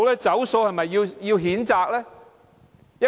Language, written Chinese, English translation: Cantonese, "走數"是否應被譴責呢？, Should he be condemned for reneging on his promise?